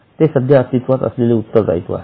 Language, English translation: Marathi, Now it is an existing obligation